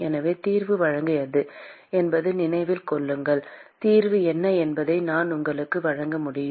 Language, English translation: Tamil, So, remember that the solution is given by I can give you what the solution is